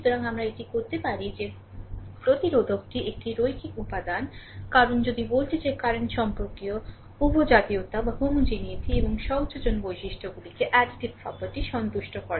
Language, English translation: Bengali, So, therefore, we can say that the resistor is a linear element, because if voltage current relationship satisfied both homogeneity and additivity properties right